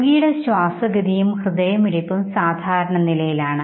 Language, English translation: Malayalam, He has normal breathing and heartbeat